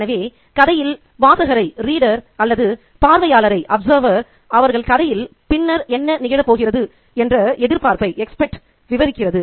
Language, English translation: Tamil, So, the narrative itself prepares the reader or the observer as to what they can expect later in the story